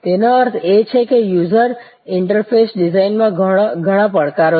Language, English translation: Gujarati, And; that means, that there are lot of challenges in user interface design